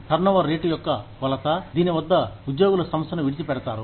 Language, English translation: Telugu, Turnover rate is a measure of the rate, at which, employees leave the firm